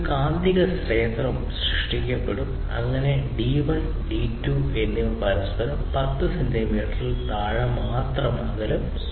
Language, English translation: Malayalam, So, for it to happen you need to keep the D1 and the D2 pretty close to each other, less than 10 centimeters apart